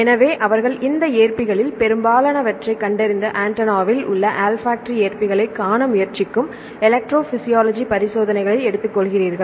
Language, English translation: Tamil, So, they take the electrophysiology experiments they try to see the olfactory receptors in the antenna they found most of these receptors